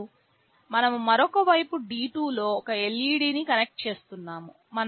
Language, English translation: Telugu, And, on the other side in D2 we are connecting a LED